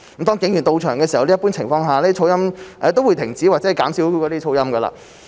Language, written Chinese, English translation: Cantonese, 當警員到場時，一般情況下噪音也會停止或減少發出噪音。, With the presence of the Police the noise issue will usually be settled or abated